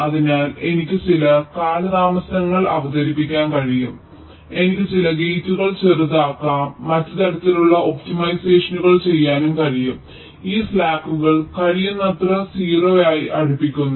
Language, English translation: Malayalam, ok, so i can introduce some delays, i can make some gets smaller, i can do some other kind of optimizations so as to make this slacks as close to zero as possible